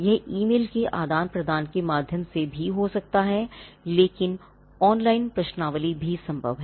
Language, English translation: Hindi, This could also be through exchange of emails, but our online questionnaire is also possible